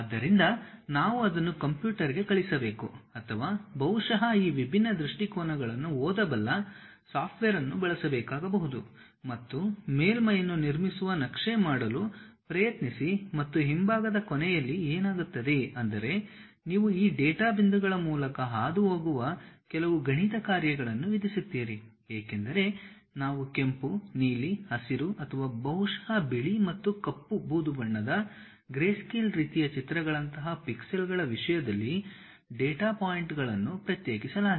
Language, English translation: Kannada, So, we have to teach it to computer or perhaps use a at least a software which can really read this different views try to map that construct the surface and the back end what happens is you impose certain mathematical functions which pass through this data points because we have isolated data points in terms of pixels like colors red, blue, green or perhaps white and black, grey grayscale kind of images and so on